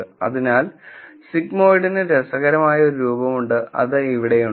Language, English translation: Malayalam, So, the sigmoid has an interesting form which is here